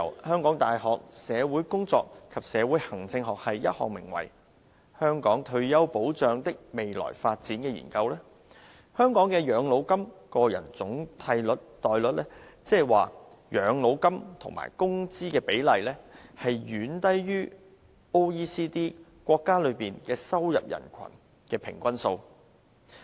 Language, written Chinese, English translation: Cantonese, 香港大學社會工作及社會行政學系進行的《香港退休保障的未來發展》研究顯示，香港的養老金個人總替代率，即養老金與工資的比例，遠低於經濟合作與發展組織國家中的收入人群的平均數。, The Research Report on Future Development of Retirement Protection in Hong Kong by The University of Hong Kong Department of Social Work and Social Administration showed that the personal replacement rate that is the ratio between pension and income in Hong Kong is far lower than the average rate among income population in member countries of the Organisation for Economic Co - operation and Development